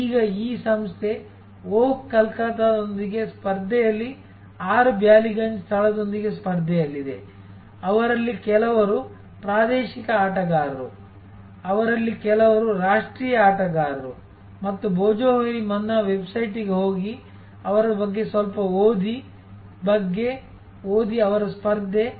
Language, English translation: Kannada, Now, this organization is in competition with 6 Ballygunge place in competition with oh Calcutta, some of them are regional players, some of them are the national players and think about go to the website Bhojohori Manna, read a little bit about them, read about their competition